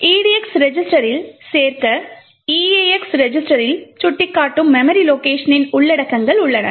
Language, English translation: Tamil, We have the contents of the memory location pointing to by the edx register to be added into the eax register